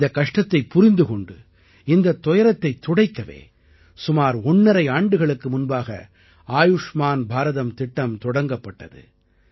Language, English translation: Tamil, Realizing this distress, the 'Ayushman Bharat' scheme was launched about one and a half years ago to ameliorate this constant worry